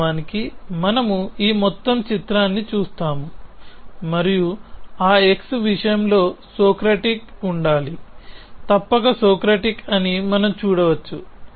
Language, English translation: Telugu, Off course we look at this whole picture and we can see that a must be Socratic in that case of that x must be Socratic